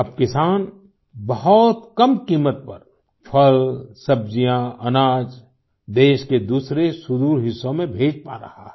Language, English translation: Hindi, Now the farmers are able to send fruits, vegetables, grains to other remote parts of the country at a very low cost